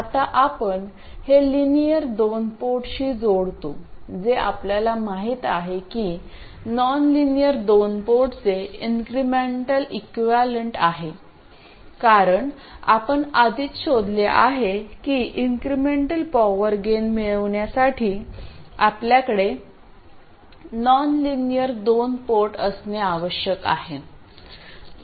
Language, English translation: Marathi, Now we connect that to a linear 2 port which we know is the incremental equivalent of the nonlinear 2 port because we have already established that we need a nonlinear 2 port to have incremental power gain